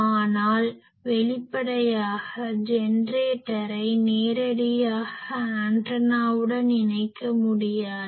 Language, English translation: Tamil, But obviously, the generator cannot directly connect to the antenna